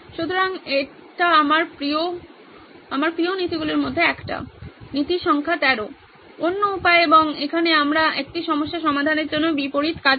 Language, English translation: Bengali, So this one is my favourite, one of my favourites of the principle principle number 13, the other way round and here we do the opposite to solve a problem